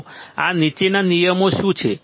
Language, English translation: Gujarati, So, what are these following rules